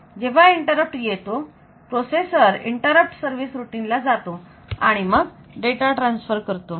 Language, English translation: Marathi, When the interrupt come the processor will go to the interrupt service routine and then it will do that transfer